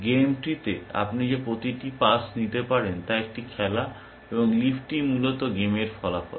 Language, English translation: Bengali, Every pass that you can take in the game tree is a game, and the leaf is outcome of the game essentially